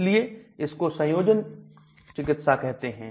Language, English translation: Hindi, So this is called a combination therapy